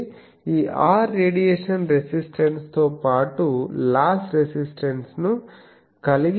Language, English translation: Telugu, So, this R is comprising both radiation resistance as well as the loss resistance